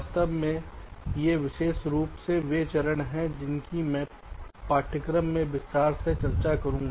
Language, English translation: Hindi, in fact these are specifically the steps which i shall be discussing in this course in significant detail